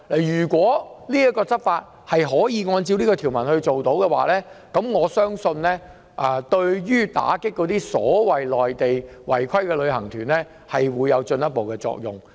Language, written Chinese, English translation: Cantonese, 如可根據這項條文執法，我相信對打擊內地違規旅行團，將會起進一步作用。, If this provision can be used as the basis of law enforcement I believe that some progress can be made in combating non - compliant Mainland tour groups